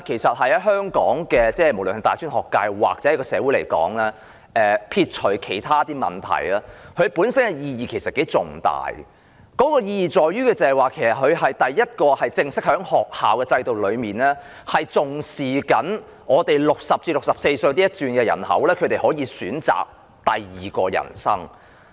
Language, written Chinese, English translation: Cantonese, 在香港的大專學界或社會來說，撇除其他問題，活齡學院本身的意義頗為重大，其意義在於它是第一個在正式的學校制度中重視本港60歲至64歲人口的學院，讓他們可以選擇第二人生。, To the tertiary education sector or the community in Hong Kong the Institute of Active Ageing excluding other problems carries quite a significant meaning for it is the first institute attaching importance to local people aged between 60 and 64 under the formal school system and allowing these people choices of a second life